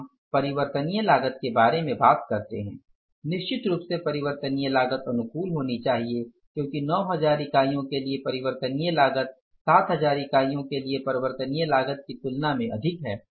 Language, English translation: Hindi, Variable cost is certainly has to be favorable because variable cost for the 9,000 units is more as compared to the variable cost for the 7,000 units